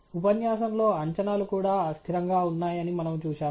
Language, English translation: Telugu, In the lecture, we have seen that the predictions had gone unstable as well